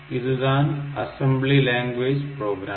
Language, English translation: Tamil, So, they are the assembly language program